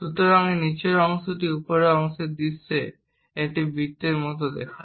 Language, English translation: Bengali, So, this bottom portion looks like a circle in the top view